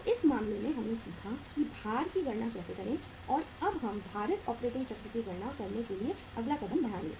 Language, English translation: Hindi, so in this case we have learnt that how to calculate the weights and now we will move the next step to calculate the weighted operating cycle